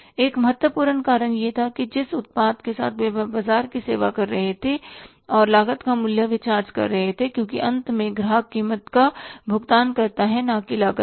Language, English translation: Hindi, One important reason was that the product they were say serving the same market with and the cost or the price they were charging about say cost because finally customer pays the price not the cost